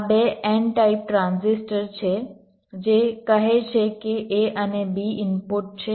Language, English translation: Gujarati, these are two n type transistor that say a and b at the inputs